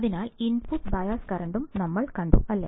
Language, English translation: Malayalam, So, we have also seen the input bias current, right